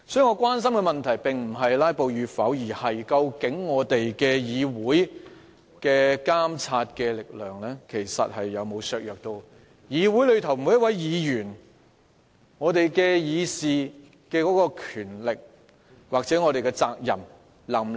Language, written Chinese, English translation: Cantonese, 我關心的問題並非有否議員"拉布"，而是議會監察政府的力量有否被削弱，以及各位議員能否享有議事的權力及履行議事的責任。, I am concerned about whether the powers of the Council to monitor the Government are undermined and whether Members can enjoy the right to deliberate and perform the duty of deliberation instead of whether Members filibuster